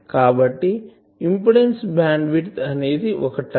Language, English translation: Telugu, So, impedance bandwidth is a term